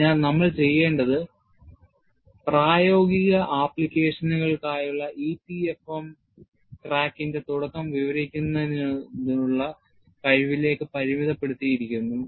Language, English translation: Malayalam, So, what we want to do is, the focus of EPFM for practical applications is limited to the ability to describe the initiation of crack growth and also handle a limited amount of actual crack growth